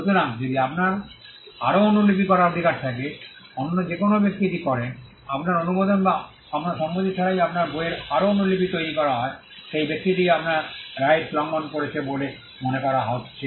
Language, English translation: Bengali, So, if you have the right to make further copies, any other person who does this, making further copies of your book without your approval or your consent is said to be infringing your right that person is violating a right that you have